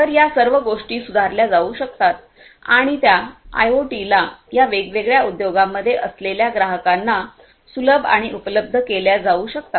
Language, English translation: Marathi, So, all of these things could be improved and could be made handy and available to the IoT to the customers that are there in these different industries